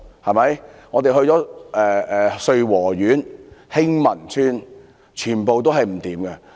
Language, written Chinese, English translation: Cantonese, 我們亦到訪穗禾苑和興民邨，全部情況糟糕。, We also visited Sui Wo Court and Hing Man Estate . The situation was terrible through and through